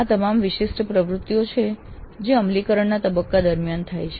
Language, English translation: Gujarati, These are all the typical activities that take place during the implement phase